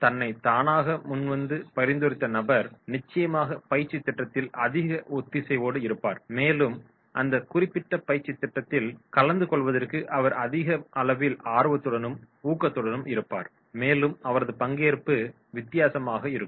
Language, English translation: Tamil, The person who has voluntarily nominated himself will definitely have more cohesiveness towards the training program, more high level of motivation he will have towards attending that particular training program and his participation will be different